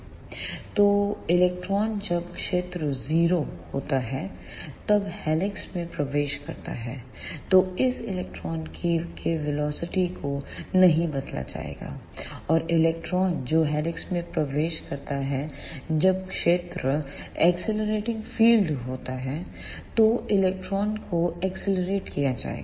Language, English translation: Hindi, So, the electron which enters the helix when the field is 0, then that electrons velocity will not be changed; and the electron which enters the helix when the field is accelerating field, then the electron will be accelerated